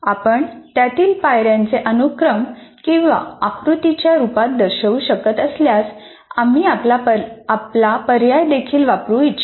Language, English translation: Marathi, If you can capture them as a sequence of steps or in the form of a diagram, we would like to kind of explore your option as well